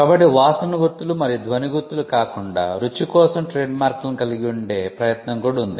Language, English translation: Telugu, So, apart from the smell marks and the sound marks, there is also an attempt to have trademarks for taste